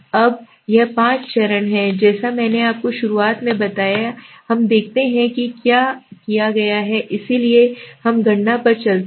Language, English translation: Hindi, Now this is the five steps which I told you at the beginning right, now let us see what has been done, let us go to the calculation